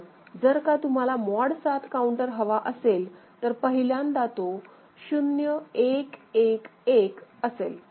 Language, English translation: Marathi, But, if you want to get a mod 7 right, then the first time it is happening it is 0 1 1 1 ok